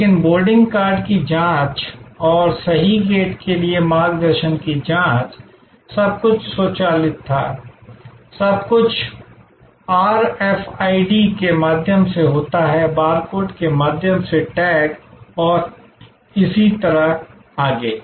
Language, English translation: Hindi, But, the checking of the boarding card and checking of the guidance to the right gate, everything was automated, everything happen through RFID, tags through barcodes and so on and so forth